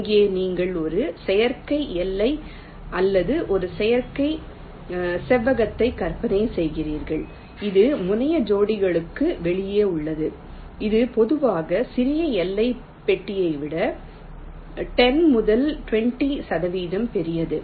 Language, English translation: Tamil, you imagine an artificial boundary or an artificial rectangle thats outside the terminal pairs, which is typically ten to twenty percent larger than the smallest bounding box